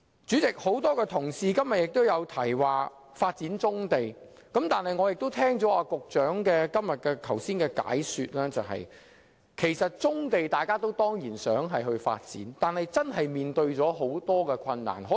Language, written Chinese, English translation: Cantonese, 主席，今天有很多同事也提到發展棕地，但聽罷局長剛才的解說，我明白大家固然想發展棕地，但實行起來的確困難重重。, President many colleagues have mentioned the development of brownfield sites today but after listening to the Secretary I understand how difficult the task is even though we all wish to see those sites developed